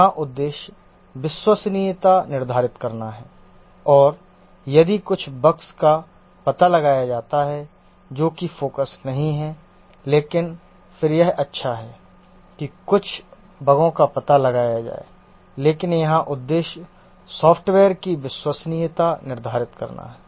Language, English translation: Hindi, Here the objective is to determine reliability and if some bugs get detected that's not the focus but then that's good, that some bugs get detected, but here the objective is to determine the reliability of the software